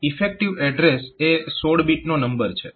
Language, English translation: Gujarati, So, that is the 16 bit number